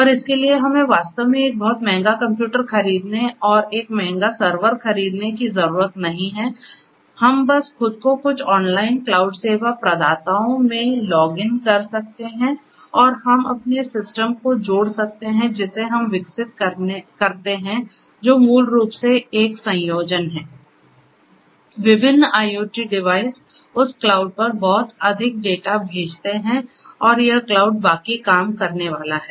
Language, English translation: Hindi, And that for that we do not really have to go and buy a very expensive computer a expensive server and so on, we could simply get ourselves logged into some online cloud service providers and you know we can hook our system that we develop which basically are a combination of different IoT devices throwing lot of data to that cloud and this cloud is going to do the rest